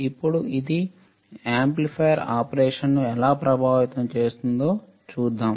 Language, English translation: Telugu, Now, let us see how this is going to affect the amplifier operation